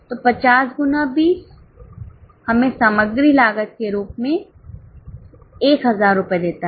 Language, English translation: Hindi, So, 50 into 20 gives us 1,000 rupees as material cost